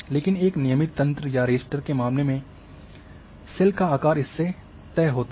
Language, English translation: Hindi, But in case of a regular grade or raster the cell size are fixed